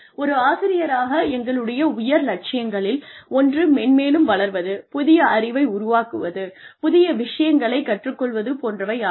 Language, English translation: Tamil, One of our aspirations as academics, is also to grow, is also to create new knowledge, is also to learn new things